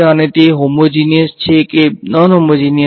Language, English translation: Gujarati, And is it homogeneous or non homogeneous